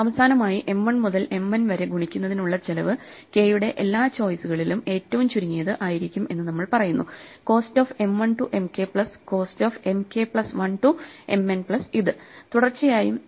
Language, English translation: Malayalam, Finally, we say that the cost of multiplying M 1 to M n is the minimum for all choices of k of the cost of multiplying M 1 to M k plus the cost of multiplying M k plus 1 to M n plus